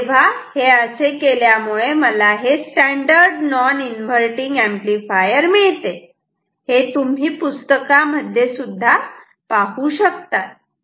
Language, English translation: Marathi, So, then it becomes the standard non inverting amplifier which you might have seen in books ok